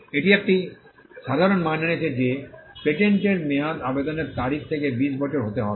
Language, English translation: Bengali, It brought a common standard that the term of a patent shall be 20 years from the date of application